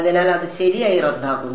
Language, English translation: Malayalam, So, it cancels off right